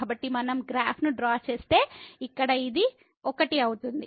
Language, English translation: Telugu, So, if we just draw the graph so, here it is 1